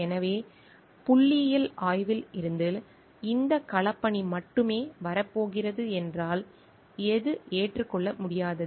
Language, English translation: Tamil, So, if from the statistical analysis only this field work are going to come, then what is not acceptable